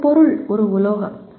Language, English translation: Tamil, Just an object is a metal